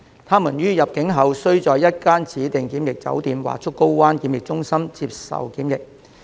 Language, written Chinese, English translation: Cantonese, 他們於入境後須在一間指定檢疫酒店或竹篙灣檢疫中心接受檢疫。, They are required to undergo quarantine at a designated quarantine hotel or the Pennys Bay Quarantine Centre upon entry into Hong Kong